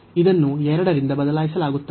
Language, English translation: Kannada, So, this is replaced by 2